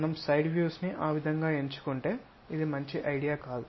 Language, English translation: Telugu, The side views if we are picking it in that way this is not a good idea